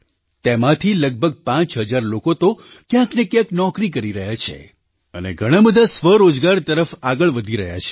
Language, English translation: Gujarati, Out of these, around five thousand people are working somewhere or the other, and many have moved towards selfemployment